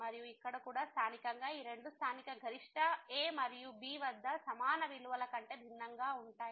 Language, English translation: Telugu, And, here as well the local these two local maximum are also different than the equal value at and